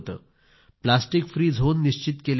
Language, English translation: Marathi, They ensured plastic free zones